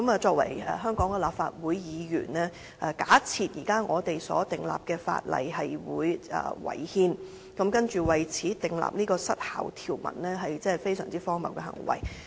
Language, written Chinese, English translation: Cantonese, 作為香港立法會議員，假設現時訂立的法例違憲，然後為此訂立失效條文，真是非常荒謬的行為。, As Members of the Hong Kong Legislative Council it is really ridiculous to assume a piece of legislation in the process of enactment is unconstitutional and thus make an expiry provision for it